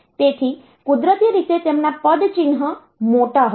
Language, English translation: Gujarati, So, the naturally they are footprint will be large